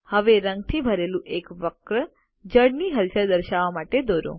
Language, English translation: Gujarati, Now let us draw a curve filled with color to show the movement of water